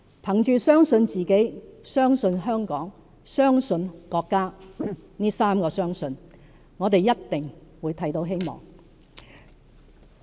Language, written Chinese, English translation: Cantonese, 憑着相信自己、相信香港和相信國家這"三個相信"，我們一定會看到希望。, Holding on to these three beliefs of believing in ourselves believing in Hong Kong and believing in our country we will certainly see hope